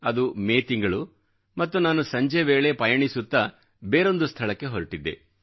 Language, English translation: Kannada, It was the month of May; and I was travelling to a certain place